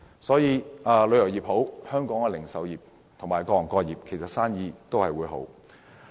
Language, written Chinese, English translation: Cantonese, 所以，旅遊業興旺，本地零售業和各行各業的生意也會興旺。, Therefore as the tourism industry flourishes the local retail sector along with all manners of businesses will flourish as well